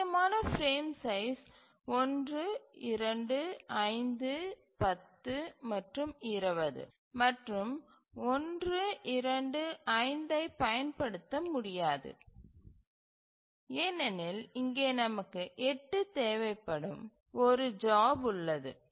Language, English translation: Tamil, So, the possible frame sizes are 1, 2, 5, 10 and 20 and 1 to 5 cannot be used because we have a job here requiring 8